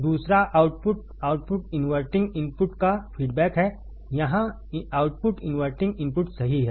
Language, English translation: Hindi, Second is output is feedback to the inverting input, output here is feedback to the inverting input correct